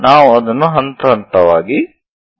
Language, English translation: Kannada, We will see that step by step